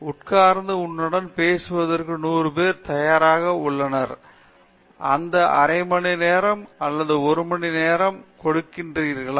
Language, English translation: Tamil, Are hundred people ready to sit down and listen to you; will they give that half an hour or one hour to you